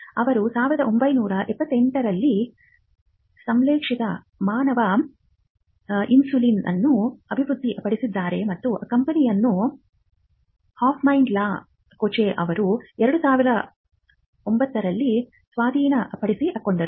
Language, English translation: Kannada, They developed the synthetic human insulin in 1978 and the company itself was acquired by Hoffmann La Roche in 2009